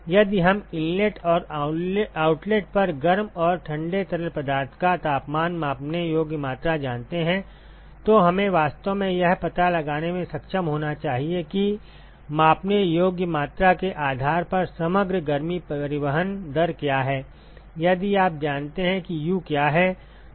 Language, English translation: Hindi, So, if we know the measurable quantity that is the temperatures of the hot and the cold fluid at the inlet and at the outlet, then we should be able to actually find out what is the overall heat transport rate based on the measurable quantities, if you know what U is